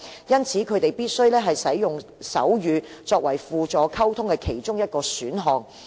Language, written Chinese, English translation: Cantonese, 因此，他們必須使用手語作為其中一種輔助溝通工具。, It is thus necessary for them to use sign language as one of their means to help their communication with others